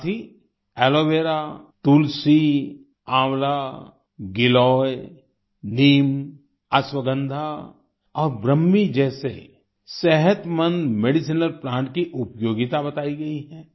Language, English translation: Hindi, Along with this, the usefulness of healthy medicinal plants like Aloe Vera, Tulsi, Amla, Giloy, Neem, Ashwagandha and Brahmi has been mentioned